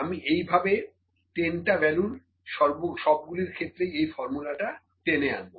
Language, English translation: Bengali, I will drag this formula to all this 10 values